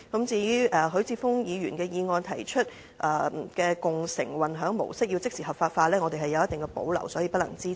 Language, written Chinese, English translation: Cantonese, 至於許智峯議員的修正案提到要即時將共乘的運輸模式合法化，我們有一定保留，所以不能支持。, As for Mr HUI Chi - fungs amendment which proposes to immediately effect the legalization of the transport mode of car - sharing we have certain reservations about it and therefore we cannot support it